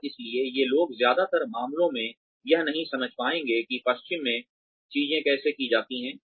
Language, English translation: Hindi, And, so these people, will not in most cases understand, how things are done in the west